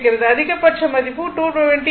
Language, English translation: Tamil, The maximum value is 220 into root 2